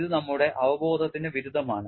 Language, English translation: Malayalam, This is contradictory to our intuition